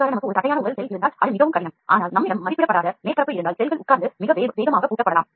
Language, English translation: Tamil, See if you have a flat body cell to sit on top of it is very difficult, but if you have a undulated surface, the cells can sit and get locked very fast